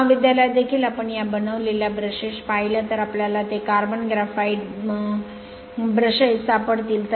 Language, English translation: Marathi, In your college also in the lab if you see this brushes are made of you will find it is a carbon graphite brushes right